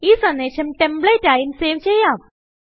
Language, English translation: Malayalam, You can also save the message as a template